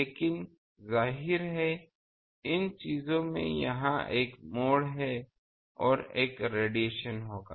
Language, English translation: Hindi, But obviously, in these things there is a bend here and there will be a radiation